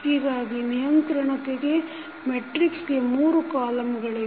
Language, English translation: Kannada, So, the controllability matrix will now have 3 columns